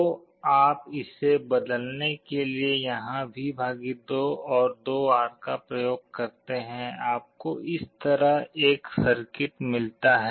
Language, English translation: Hindi, So, you apply V / 2 here and 2R to replace this, you get a circuit like this